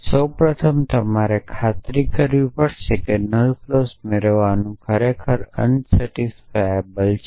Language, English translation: Gujarati, And so first of all you have to convince that deriving the null clause is indeed showing the unsatisfiable